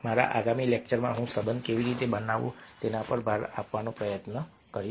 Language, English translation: Gujarati, in my next lecture i will try to emphasize on how to build relationship